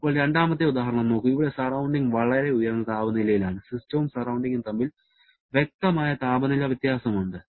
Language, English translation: Malayalam, Now, look at the second example where the surroundings at a much higher temperature, there is a distinct temperature difference existing between system and surrounding